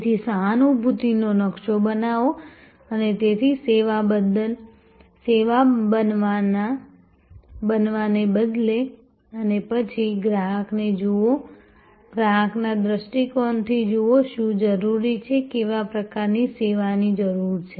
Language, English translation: Gujarati, So, create an empathy map and so instead of creating a service and then, looking at the customer, look from customer perspective, so look from customers perspective, what is needed, what sort of service is needed